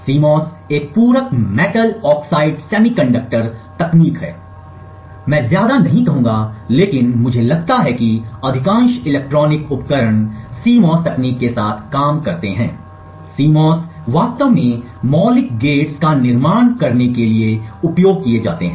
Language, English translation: Hindi, CMOS is a Complementary Metal Oxide Semiconductor technology and I would not say every, but I think most of the electronic devices work with the CMOS technology, CMOS would actually be used to actually build fundamental gates